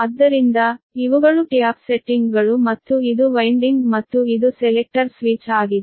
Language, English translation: Kannada, so these are the, these are the tap settings and this is the winding, this is the winding right and this is selector switch